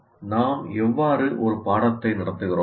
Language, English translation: Tamil, Now how do we conduct the course